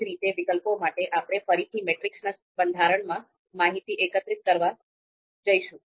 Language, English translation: Gujarati, Similarly, for alternatives, we are going to compare we are going to collect the data again in a in a matrix format